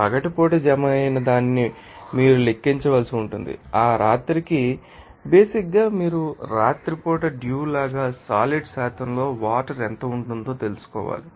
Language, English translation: Telugu, You have to calculate which is deposited as day add that night basically you have to find out what would be the amount of that is water in percentage that is constant condensed as dew at night